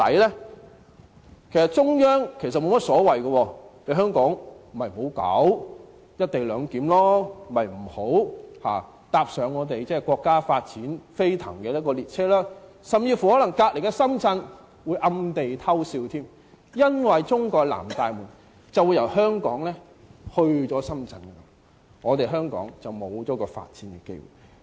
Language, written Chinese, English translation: Cantonese, 其實中央沒有所謂，香港可以不要"一地兩檢"，不要踏上國家發展飛騰的列車，甚至隔鄰的深圳可能會暗地裏偷笑，因為中國的南大門會由香港遷往深圳，香港便會失去發展機會。, In fact the Central Authorities could not care less . Hong Kong can go without the co - location arrangement and miss the express train to join speedy development of the State . Our neighbour Shenzhen may even snigger at us because the Southern opening to China will be relocated from Hong Kong to Shenzhen and Hong Kong will then lose this development opportunity